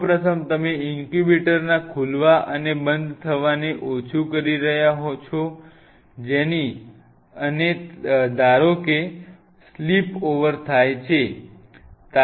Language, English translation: Gujarati, First of all, minimize the opening and closing of the incubator you are plan it, and suppose there is spillover